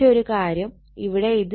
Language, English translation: Malayalam, But one thing look here it is 5